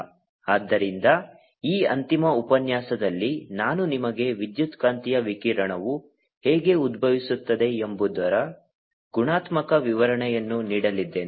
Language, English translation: Kannada, so in this final lecture i'm just going to give you a qualitative description of how you electromagnetic radiation arises